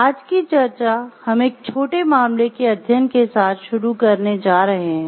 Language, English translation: Hindi, Today’s discussion we are going to begin with a discussion of a small case study